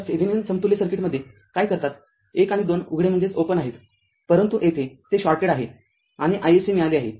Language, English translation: Marathi, So, what you do in Thevenin thevenin equivalent circuit 1 and 2 are open, but here it is shorted and we got i SC